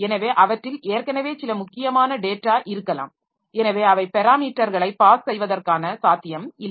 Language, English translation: Tamil, So, they may be already having some important data in them so they are not spareable for passing the parameters